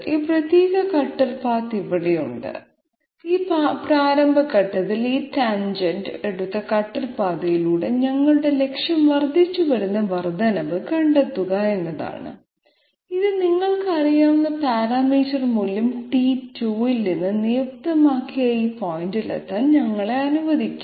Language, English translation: Malayalam, We have here this particular cutter path, along the cutter path this tangent has been taken at this initial point, our target is to find out the incremental increase which will which will allow us to reach this point designated by you know parameter t 2, from parameter value t 1